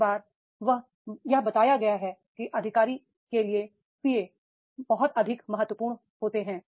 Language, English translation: Hindi, Many times it has been told that is the PA to the officer is more important than the officer himself